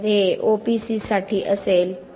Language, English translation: Marathi, So this would be for OPC